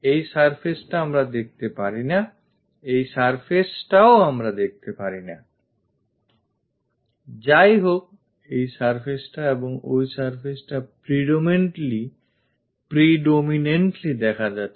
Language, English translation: Bengali, This surface we cannot visualize, this surface we cannot visualize; however, this surface and that surface predominantly visible